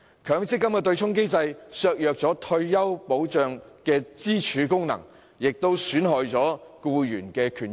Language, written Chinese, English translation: Cantonese, 強積金的對沖機制削弱了退休保障的支柱功能，也損害了僱員的權益。, The MPF offsetting mechanism has undermined not only the function of retirement protection as a pillar but also employees interests